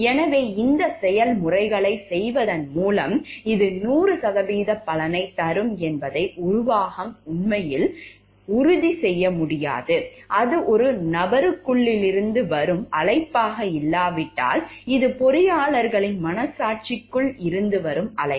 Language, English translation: Tamil, So, by doing these processes the management cannot really ensure like these are going to give 100 percent result, until and unless it is a call from within the person, it is a call from within the conscience of the person of the engineers in terms of professional responsibility, professional conscience